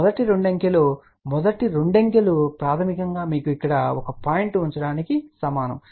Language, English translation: Telugu, The first two digits the first two digits basically are equivalent to you put a point before here